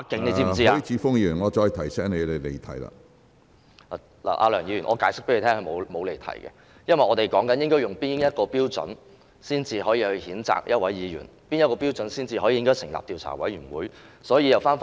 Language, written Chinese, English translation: Cantonese, 梁議員，我可以向你解釋，我並沒有離題，因為我正在說明應以哪一標準決定譴責議員，應以哪一標準判斷應成立調查委員會處理。, Mr LEUNG let me explain to you that I have not digressed from the subject because I am elaborating on the criteria we should adopt in determining whether a Member should be censured and whether an investigation committee should be set up to handle the matter